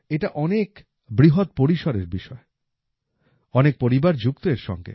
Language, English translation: Bengali, This is a topic related to very big families